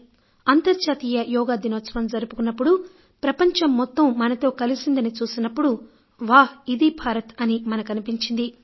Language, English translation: Telugu, When the world celebrated "International Yoga Diwas" and the entire world got associated with it, we became proud of our country